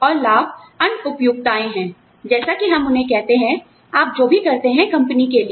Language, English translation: Hindi, And, benefits are the other conveniences, as we call them, for whatever, you do, for the company